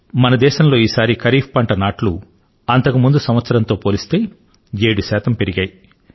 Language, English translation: Telugu, This time around in our country, sowing of kharif crops has increased by 7 percent compared to last year